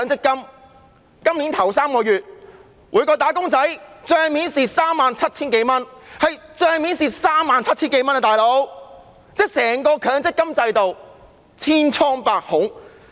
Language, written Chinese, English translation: Cantonese, 今年首3個月，每名"打工仔"在帳面上虧蝕 37,000 多元，可見整個強積金制度是千瘡百孔。, In the first three months of this year every wage earner has lost more than 37,000 at book value . This shows that the entire MPF System is riddled with problems